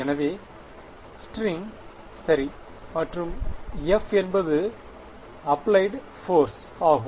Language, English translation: Tamil, So, string alright and F is the applied force alright